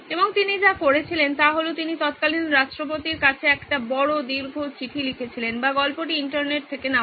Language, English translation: Bengali, And what he did was he wrote a big long letter to the then President of or the story goes from the internet